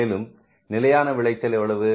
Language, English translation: Tamil, Actual yield is how much